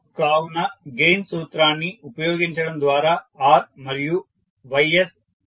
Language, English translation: Telugu, So, R and Ys is obtained by using the gain formula so what we will do